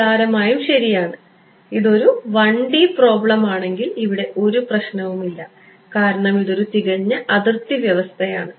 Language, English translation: Malayalam, Trivially good right if its 1 D problem there is no there is absolutely no issue over here, because this is the perfect boundary condition right